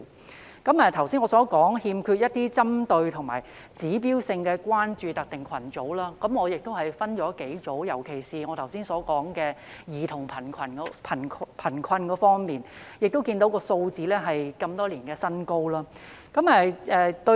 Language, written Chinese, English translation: Cantonese, 我剛才提到欠缺針對性和指標性關注特定群組，我把這些群組分成幾類。尤其是我剛才所說的兒童貧困這方面，我們看到有關數字是多年來的新高，對於......, I have just talked about the absence of focus and indicators for identifying specific groups for attention and I can put these groups into a few categories specifically in terms of child poverty which I just mentioned . We can see that the relevant figures are all - time highs